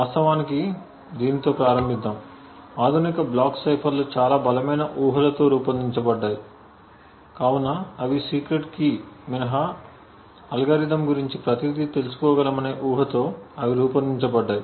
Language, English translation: Telugu, To actually start off with, the modern block ciphers are designed with very strong assumptions so they are infact designed with the assumption that an attacker could know everything about the algorithm except the secret key